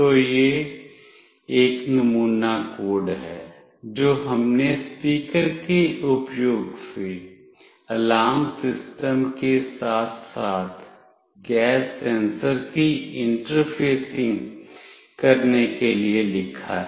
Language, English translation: Hindi, So, this is a sample code that we have written for interfacing gas sensor along with the alarm system using the speaker